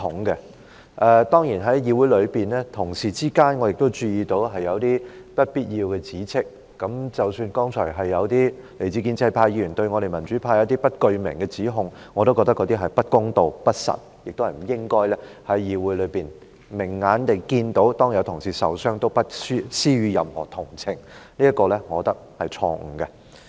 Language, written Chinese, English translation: Cantonese, 但是我注意到，議會內同事之間有不必要的指斥，包括剛才有些來自建制派的議員對民主派作出不具名的指控，我認為那些是不公道、不實，亦不應該在議會內提出的；他們明明眼睛已看到有議員受傷，也不施予任何同情，我認為這是錯誤的。, However I notice that there are some unnecessary accusations among colleagues in this Council including the unnamed accusations from the pro - establishment Members against the democratic camp earlier which I find are unfair untrue and should not be raised in this Council . Clearly seeing that some Members were hurt they did not show any sympathy at all and I think this attitude is wrong